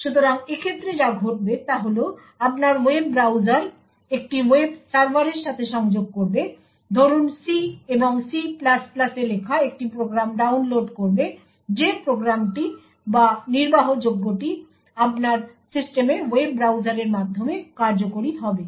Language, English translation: Bengali, So in such a case what would happen is your web browser will connect to a web server download a program written in say C and C++ that program or that executable would then execute through your web browser in your system